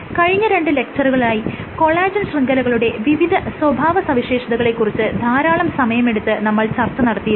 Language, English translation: Malayalam, So, over the last 2 lectures I had spent considerable amount of time in studying the behavior of collagen networks right